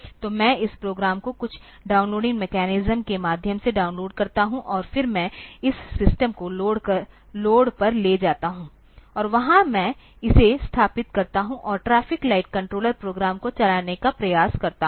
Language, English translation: Hindi, So, I download this program via some downloading mechanism, and then I take this system to the road, and there I install it and try to run the traffic light controller program